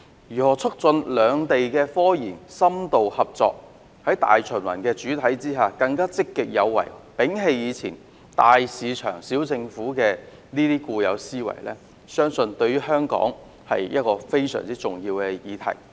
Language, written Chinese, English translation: Cantonese, 如何促進兩地科研深度合作，在大循環的主體之下更積極有為，並且摒棄"大市場、小政府"的固有思維，對香港也是非常重要的議題。, It is also very important for Hong Kong to consider how to facilitate in - depth RD cooperation between the two places act more proactively in the domestic circulation and abandon the old mindset of big market small government